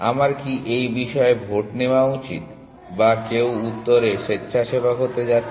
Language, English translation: Bengali, Should I take a vote on this or somebody going to volunteer in answer